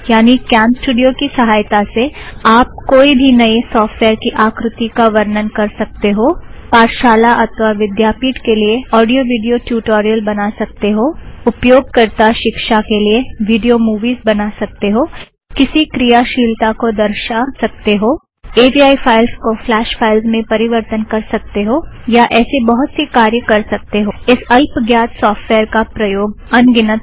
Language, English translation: Hindi, Which means that you can use CamStudio to demonstrate features of a new software create audio video tutorials for schools and colleges create video movies used in user trainings show how to perform an activity convert AVI files to Flash files and many other uses